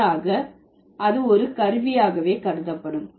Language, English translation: Tamil, So, that is rather treated as an instrument